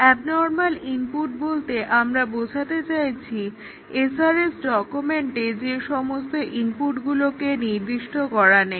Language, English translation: Bengali, By abnormal input, we mean beyond what is specified in the SRS document